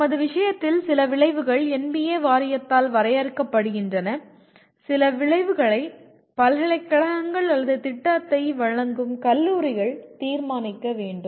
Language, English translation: Tamil, And in our case, some outcomes are defined by National Board of Accreditation; some outcomes are the universities or colleges offering the program will have to decide